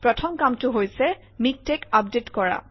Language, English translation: Assamese, The first thing is to update MikTeX